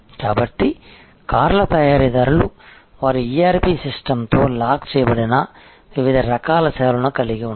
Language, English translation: Telugu, So, a car manufacturer will have different types of services which are locked in with their ERP system